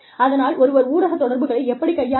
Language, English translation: Tamil, So, one has to know, how to handle, media relations